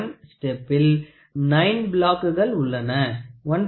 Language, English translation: Tamil, 001 step you have 9 block, 1